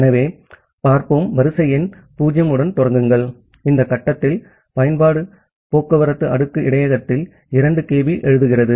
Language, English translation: Tamil, So, let us start with sequence number 0 and at this stage the application does a 2 kB write at the transport layer buffer